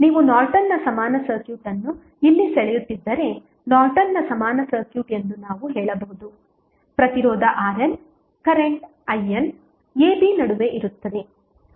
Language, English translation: Kannada, We can say that the Norton's equivalent circuit if you draw Norton's equivalent circuit here the resistance R N, current I N that is between a, b